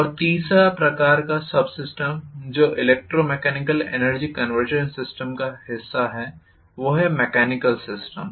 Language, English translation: Hindi, And the third type of subsystem which is the part of electromechanical energy conversion system is the mechanical system